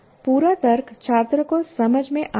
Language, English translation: Hindi, And the entire logic makes sense to the student